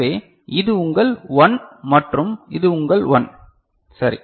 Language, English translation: Tamil, So, this is your 1 and this is your 1 ok